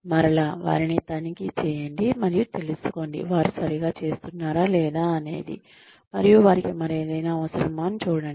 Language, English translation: Telugu, And again, check on them, and find out, if they are doing, okay, and if they need anything else